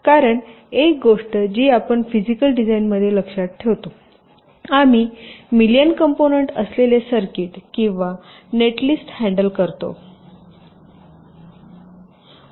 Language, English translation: Marathi, because one thing we remember: in physical design we are tackling circuit or netlist containing millions of millions of components